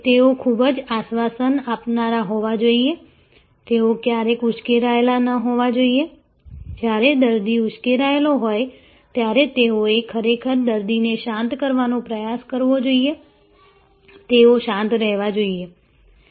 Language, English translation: Gujarati, They should be very reassuring, they should never get agitated, when the patient is agitated, they should actually try to come the patient down, they should be soothing and so on